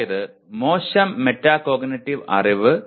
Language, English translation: Malayalam, That is poor metacognitive knowledge